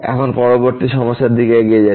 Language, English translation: Bengali, Now, moving next to the next problem